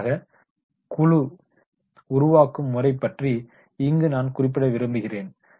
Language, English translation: Tamil, Finally, I would like to talk about the group building methods